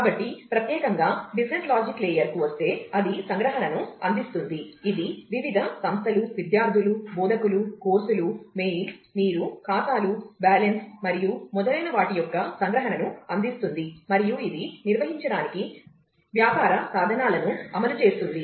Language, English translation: Telugu, So, coming to the business logic layer specifically, that provides abstraction of that will provide abstraction of various entities, students, instructors, courses, mails, your accounts, balance and so on, and that will enforce business tools for carrying out this